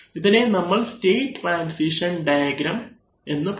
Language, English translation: Malayalam, So now, so this is what we know, what we call the state transition diagram